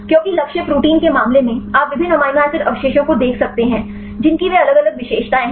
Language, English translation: Hindi, Because the case of the target protein, you can see different amino acid residues they are having different characteristics